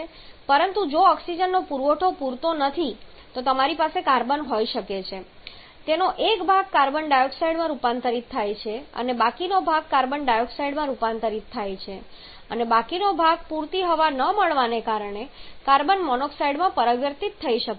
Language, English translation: Gujarati, But if the amount of oxygen is supplying that is not sufficient then you may have the carbon a part of that gets converted to carbon dioxide and the remaining part because it is not getting sufficient air may just get converted to carbon monoxide